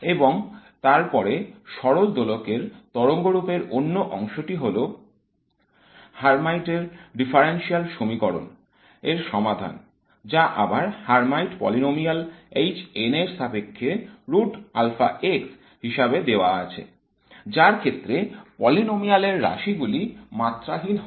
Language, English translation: Bengali, And then the other part of the harmonic oscillator wave function is the solution to the Hermites differential equation, which is given in terms of the Hermite polynomials, HN, again of root alpha x, so that the polynomial has quantities which are dimensionless